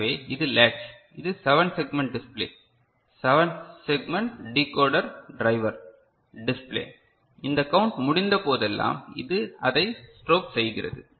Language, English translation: Tamil, So, this is the latch ok, this is 7 segment display, the 7 segment decoder driver, display, this is strobing of it whenever this count has been completed